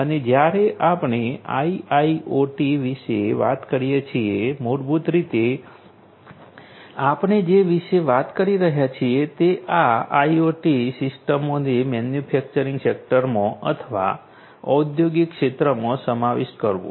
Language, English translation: Gujarati, And when we talk about IIoT, basically what we are talking about is the incorporation of these IoT systems into the manufacturing sector or the industrial sector